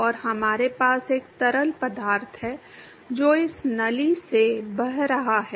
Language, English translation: Hindi, And we have a fluid which is flowing through this tube